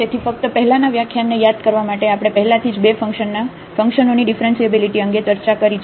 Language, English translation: Gujarati, So, just to recall from the previous lecture we have discussed already the differentiability of functions of two variables